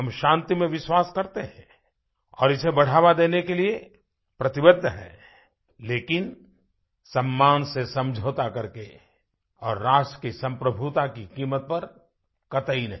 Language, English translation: Hindi, We staunchly believe in peace; we are committed to taking it forward… but NOT at the cost of compromising our selfrespect and sovereignty of our Nation